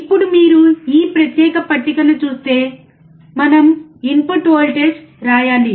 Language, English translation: Telugu, Now, if you see this particular table we have to write input voltage